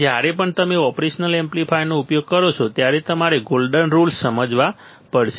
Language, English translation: Gujarati, Now, whenever you use operational amplifier, whenever you use operational amplifier, you had to understand golden rules